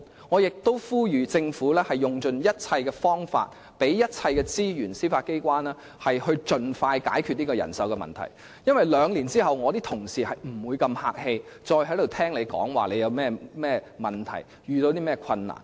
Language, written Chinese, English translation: Cantonese, 我亦呼籲政府要用盡一切方法，並向司法機構提供一切資源，以便盡快解決人手問題，因為兩年後，我的同事將不會再如此客氣地聆聽政府遇到甚麼問題和困難。, I also call on the Government to provide the Judiciary with the necessary resources in every possible way such that the latter can expeditiously resolve the manpower problem because two years later my colleagues will not be so polite and listen to the problems and difficulties encountered by the Government